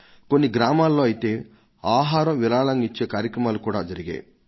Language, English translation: Telugu, In some villages people organised food donation on this occasion